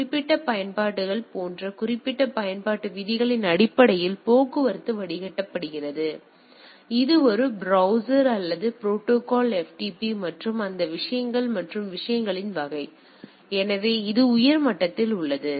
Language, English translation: Tamil, So, similarly traffic is filtered based on specified application rules such as specified applications; such as a browser or a protocol FTP and combination of those things and type of things; so, that is at the higher level